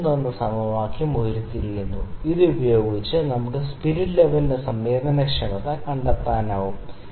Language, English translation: Malayalam, So, that derives the equation 3, with this we can find the sensitivity of the of our spirit level